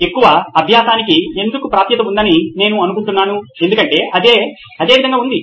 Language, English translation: Telugu, I think why is there access to more learning because that is the way it is